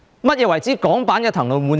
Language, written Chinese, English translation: Cantonese, 何謂港版的"騰籠換鳥"？, What is a Hong Kong version of emptying the cage for new birds?